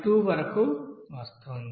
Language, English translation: Telugu, 2 it is coming